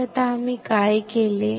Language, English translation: Marathi, So now, what we have done